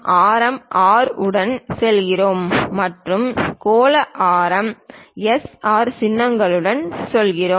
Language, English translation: Tamil, For radius we go with R and for spherical radius we go with SR symbols